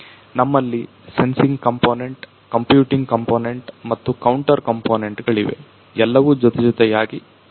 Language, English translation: Kannada, So, we have the sensing component, the computing component and the contour component all working hand in hand